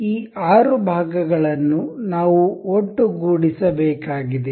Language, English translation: Kannada, We have this six part needs to be assembled to each other